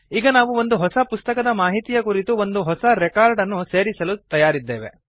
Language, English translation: Kannada, Now we are ready to add a new record, with information about a new book